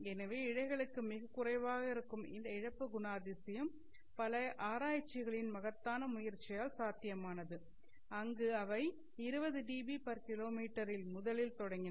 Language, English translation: Tamil, So the loss property of an optical fiber which is very low for fibers was made possible by tremendous efforts of so many researchers where they started off from 20 dB per kilometer